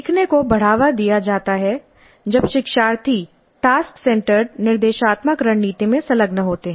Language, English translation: Hindi, Learning is promoted when learners engage in a task centered instructional strategy